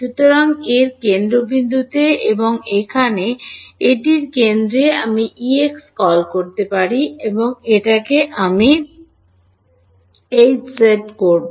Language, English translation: Bengali, So, at the centre of this and this over here at the centre of this I can call E x, and here is where I will do H z